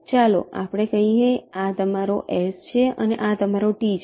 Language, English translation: Gujarati, lets say this is your s and this is your t